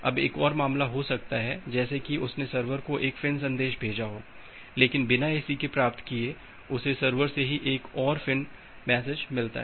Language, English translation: Hindi, Now there can be another case like it has sent a FIN message to the server, but without getting an ACK, it has received another FIN message from the server itself